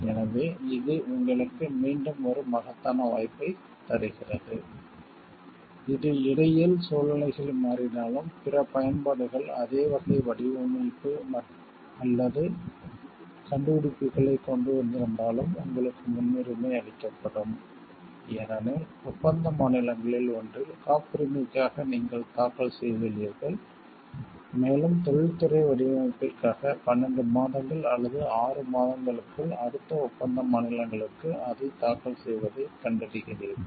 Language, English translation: Tamil, So, this gives you like the again immense opportunity, which talks of like even if situations have changed in between even if other like a other applications have come up with the same type, type of design or invention, but still your we will be given a priority, because you filed for the patent in one of the contracting state, and within 12 months or 6 months for industrial design, you are finding filing it for the next contracting states